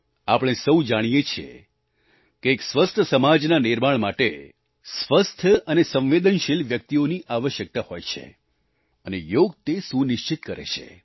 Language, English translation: Gujarati, We all know that healthy and sensitive denizens are required to build a healthy society and Yoga ensures this very principle